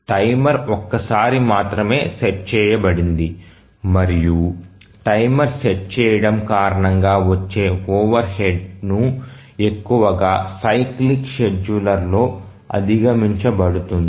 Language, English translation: Telugu, Timer is set only once and the overhead due to setting timer is largely overcome in a cyclic scheduler